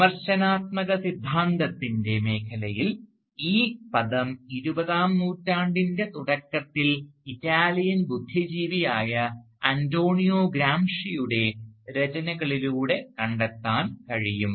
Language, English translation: Malayalam, But in the field of critical theory, because we are concerned with critical theory here, the term can be traced back to the writings of the early 20th century Italian intellectual Antonio Gramsci